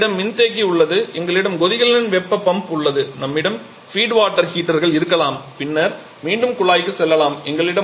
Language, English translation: Tamil, Then we have the condenser we have the boiler heat pump we may have feed water heaters and then going back to the duct